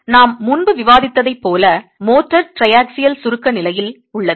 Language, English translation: Tamil, Now, as we had discussed earlier, the motor tends to be in a state of triaxial compression